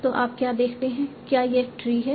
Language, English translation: Hindi, So do you see it's a tree